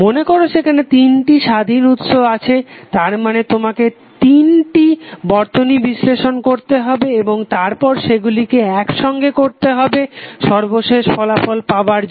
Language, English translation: Bengali, Suppose if there are 3 independent sources that means that you have to analyze 3 circuits and after that you have to combine to get the final output